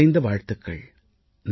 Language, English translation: Tamil, My best wishes to them